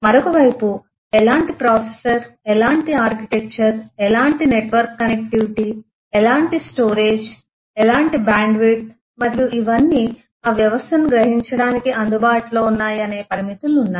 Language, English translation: Telugu, On the other side there is limitations of how what kind of processor, what kind of architecture, what kind of em eh network connectivity, what kind of storage, what kind of eh bandwidth and all these are available for realizing that system